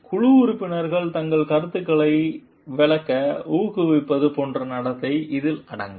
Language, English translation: Tamil, So, it includes behavior such as encouraging team members to explain their ideas and opinions